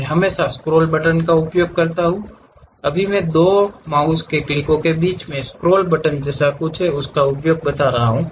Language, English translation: Hindi, I can always use scroll button, right now I am using in between these 2 mouse clicks there is something like a scroll button